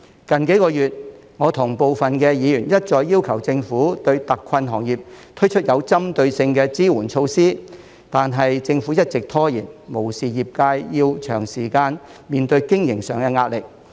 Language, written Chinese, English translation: Cantonese, 近數個月，我跟部分議員一再要求政府對特困行業推出有針對性的支援措施，但政府一直拖延，無視業界長時間面對經營上的壓力。, In recent months some Members and I have repeatedly requested the Government to introduce targeted support measures for hard - hit industries but the Government has been dragging its feet ignoring the long - standing pressure on the operation of the industries